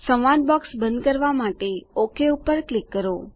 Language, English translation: Gujarati, Click OK to close the dialog box